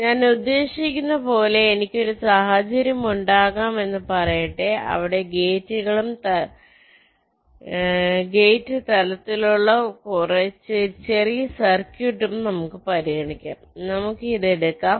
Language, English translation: Malayalam, what we mean is that, let say, i can have a scenario where lets consider a small circuit at the level of the gates, lets take this